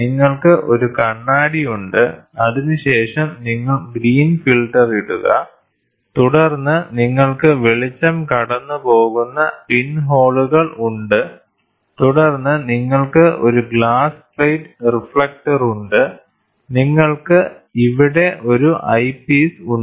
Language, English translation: Malayalam, So, you have a mirror, then you put green filter, then you have pinholes through which the light passes through, then you have a glass plate reflector, you have an eyepiece here